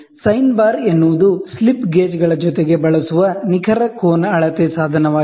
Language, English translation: Kannada, Sine bar is a precision angle measurement instrument used along with slip gauges